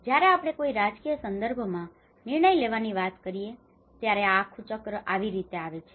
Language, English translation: Gujarati, So when we talk about the decision making in a political context, how this whole cycle comes